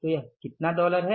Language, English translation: Hindi, So it is dollars how much